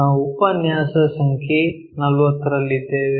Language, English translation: Kannada, We are at Lecture number 40